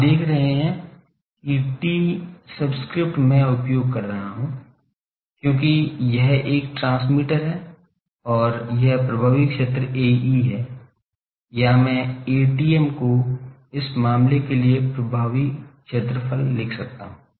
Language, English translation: Hindi, You see T subscript I am using because it is a transmitter and, it is area effective area is A e, or I can write A tm a maximum effective area for this case